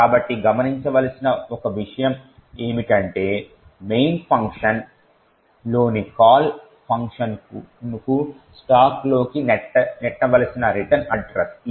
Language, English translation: Telugu, So, one thing to note is that the written address which should be pushed onto the stack if the call function in main is this